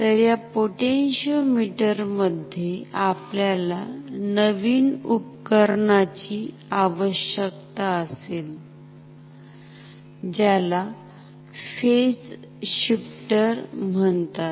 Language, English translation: Marathi, So, in this potentiometer, we will need a new instrument a new equipment which is called a phase shifter